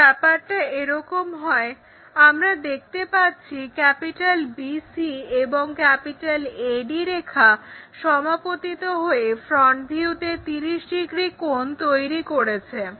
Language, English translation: Bengali, If that is the case, we see BC line, AD line coincides making an angle 30 degrees in the front view